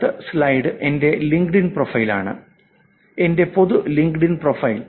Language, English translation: Malayalam, The one, the next slide, this is my LinkedIn profile